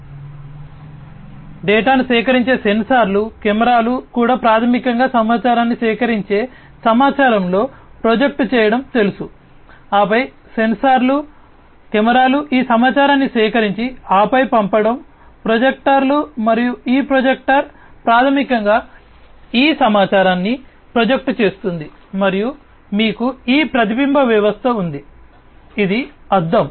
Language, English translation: Telugu, So, sensors collecting data, cameras also basically know projecting in the information collecting the information and then together the sensors, cameras, you know, collecting all these information and then sending it to the projectors, and this projector basically projects all this information and then you have this reflection system, which is the mirror